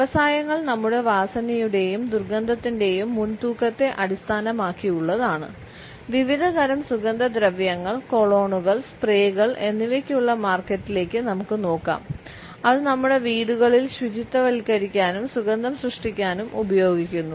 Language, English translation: Malayalam, Industries are also based around our preoccupations of smells and odors we can look at the market which is there for different types of perfumes, colognes, sprays which we use to sanitize and create scents in our homes etcetera